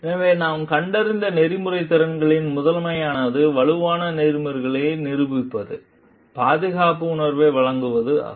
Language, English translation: Tamil, So, the first one of the ethical of the competencies that we find is demonstrate strong ethics, and provides a sense of safety